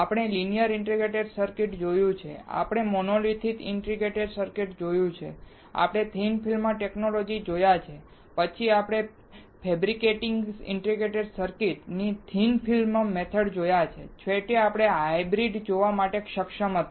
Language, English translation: Gujarati, We have seen the linear integrated circuit, we have seen monolithic integrated circuit, we saw thin film technology, then we saw thick film method of fabricating integrated circuit, finally, we were able to see the hybrid